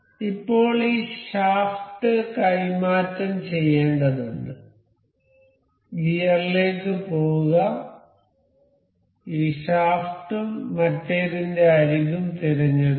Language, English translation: Malayalam, Now and this shaft has to be translated to go to gear, this select this shaft and the edge of this other